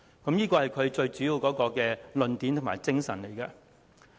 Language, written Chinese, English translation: Cantonese, 這是他提出議案的主要論點及精神。, These are his main arguments and spirit in proposing the motion